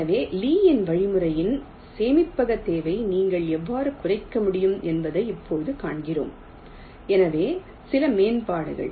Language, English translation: Tamil, so now we see that how you can reduce the storage requirement of the lees algorithm, show some improvements